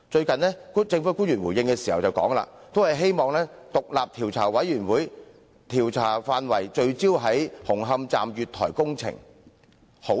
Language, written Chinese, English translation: Cantonese, 近日，政府官員作出回應時，均表示希望將調查委員會的調查範圍聚焦在紅磡站月台工程。, In recent days government officials have in response indicated that scope of inquiry of the Commission of Inquiry should be focused on inquiring into the platform construction works at Hung Hom Station